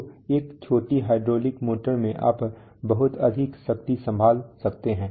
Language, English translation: Hindi, So in a small hydraulic motor you can handle a lot of power